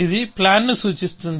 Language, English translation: Telugu, So, this signifies the plan